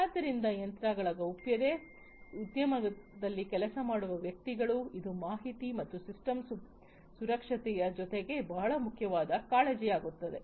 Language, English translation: Kannada, So, the privacy of the machines, privacy of the individuals working in the industry etc, this also becomes a very important concern along with information and system security